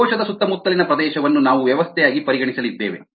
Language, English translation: Kannada, we are going to consider the surrounding of the cell as isas a system